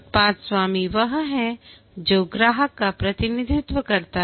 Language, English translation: Hindi, The product owner is the one who represents the customer